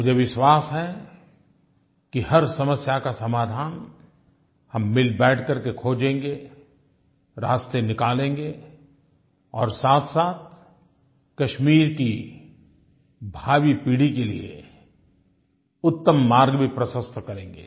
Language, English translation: Hindi, I am very sure that by sitting together we shall definitely find solutions to our problems, find ways to move ahead and also pave a better path for future generations in Kashmir